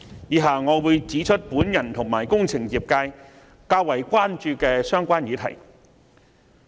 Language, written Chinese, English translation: Cantonese, 以下我將會指出我和工程業界較為關注的議題。, I am going to highlight the issues that the engineering sector and I are more concerned about